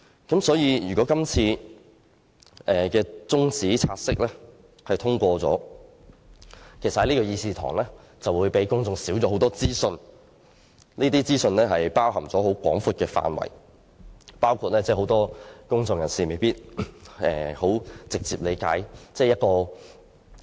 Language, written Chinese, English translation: Cantonese, 因此，如果這次中止待續議案獲得通過，議事堂可以帶給公眾的資訊便會減少，而可能牽涉的資訊內容範圍廣泛，其中包括很多公眾人士未必能夠直接理解的事宜。, Therefore if the adjournment motion is passed the information to be received by the public will be less . Such information may cover a wide scope including issues which cannot be easily understood by many members of the public